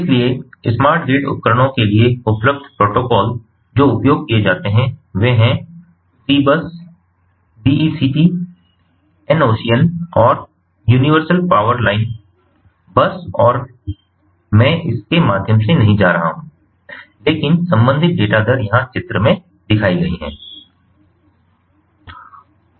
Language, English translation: Hindi, so, for smart grid appliances, the available protocol that are used are c bus, dect, the enocean and the universal power line bus, and i am not going to go through, but the corresponding data rate and the, the main feature, are given in the slide in front of you